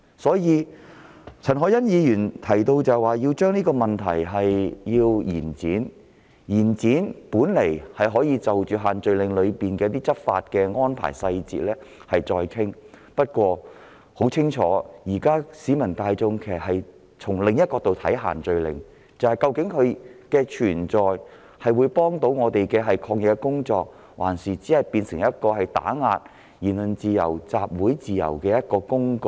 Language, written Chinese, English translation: Cantonese, 所以，陳凱欣議員提出延展修訂期限的建議，本來是要就限聚令的一些執法細節再作商討，但市民大眾現時已顯然從另一角度出發，質疑限聚令的存在是協助進行抗疫工作，還是用作打壓言論自由、集會自由的工具？, Therefore although the proposal put forward by Ms CHAN Hoi - yan to extend the scrutiny period seeks originally to have further discussions on certain enforcement details of the social gathering restrictions the general public have obviously turned to consider the matter from another perspective and query whether the restrictions were imposed to help the fight against the epidemic or provide a tool to suppress the freedom of speech and of assembly?